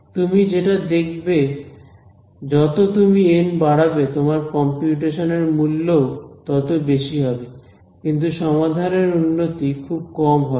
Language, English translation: Bengali, What you will find is as you begin increasing N more and more and more at some point your cost of computation becomes very large , but your improvement in solution becomes very less